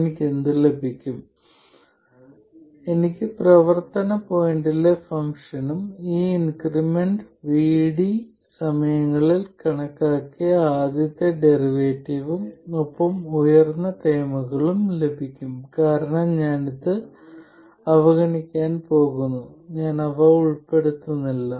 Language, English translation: Malayalam, I will get the function at the operating point plus the first derivative calculated at the operating point times this increment VD plus higher order terms because I am going to neglect this I am not including them